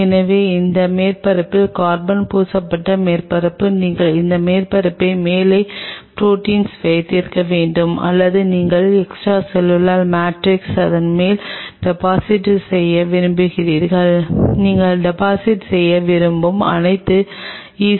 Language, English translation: Tamil, So, this is carbon coated surface on that surface you are having you expose that surface at the top to have the proteins or whatever extracellular matrix you want to deposit on top of it all the ECM stuff you want to deposit this is how it works